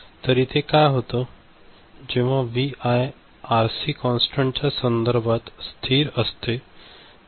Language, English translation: Marathi, And, what is happening, when Vi is constant, with respect to time RC is constant